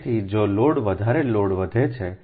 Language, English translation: Gujarati, so load growth is always there